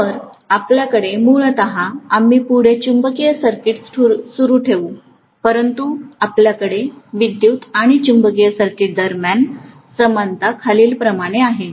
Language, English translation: Marathi, So we are essentially having; we will continue with magnetic circuits further, but we are essentially having the analogy between electric and magnetic circuits as follows